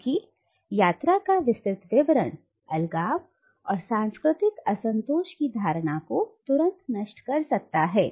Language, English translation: Hindi, Because a detailed account of the travel, will immediately destroy the notion of isolation and cultural uncontaminatedness